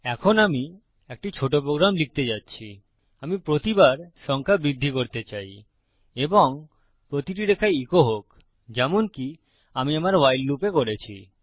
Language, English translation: Bengali, Now Im going to type a little program I want the numbers to increment each time and echo on each line as Ive done in my WHILE loop